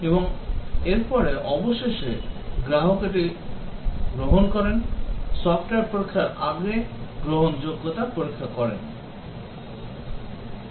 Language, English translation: Bengali, And after this, finally it is the customer who takes, before taking delivery of the software does the acceptance test